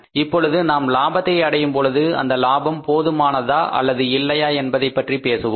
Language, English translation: Tamil, Now we talk about that if we are say earning the profit whether profit is sufficient or not we are into the losses